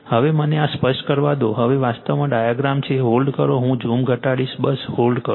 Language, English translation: Gujarati, Right now, this is let me clear it , now actually diagram is, hold on hold on I will I will reduce the zoom just hold on